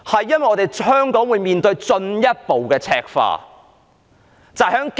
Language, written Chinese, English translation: Cantonese, 因為香港會面對進一步的赤化。, The reason is that Hong Kong will turn red more extensively